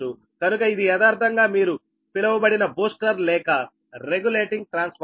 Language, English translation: Telugu, next, is that booster transformer or regulating transformer